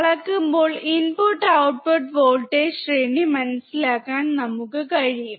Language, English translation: Malayalam, When we measure, we can understand the input and output voltage range